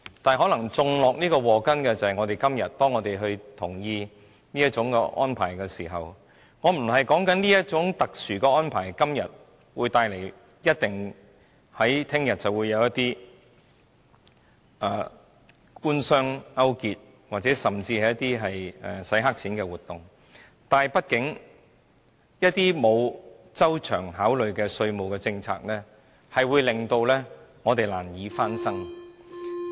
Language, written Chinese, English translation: Cantonese, 不過，種下禍根的，可能便是因為我們今天同意這個安排，我不是說這種特殊的安排，明天一定會帶來官商勾結，甚至"洗黑錢"的活動，但畢竟一些沒有周詳考慮的稅務政策，會令我們難以翻身。, However it is our support of this arrangement today that may sow the seeds of the fiscal troubles . I am not saying that this special arrangement will bring about collusion between the Government and business or even the money laundering activities tomorrow . But it will be hard for us to bound back if we introduce tax policies slightly without thorough consideration